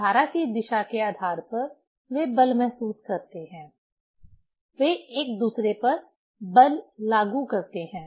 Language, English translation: Hindi, Depending on the direction of the current, they feel force; they apply force on each other